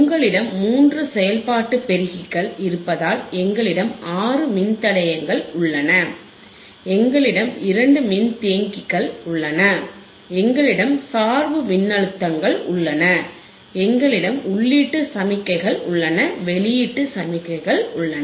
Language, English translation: Tamil, So, three operation amplifier we have, we have six resistors, we have two capacitors, we have we have bias voltages, we have input signals, we have output signals